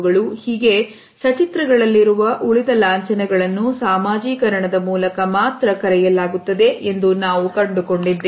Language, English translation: Kannada, We find that the rest of the emblems in illustrators are learnt through socialization only